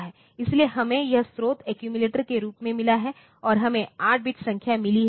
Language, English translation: Hindi, So, we have got this source as accumulator and we have got 8 bit number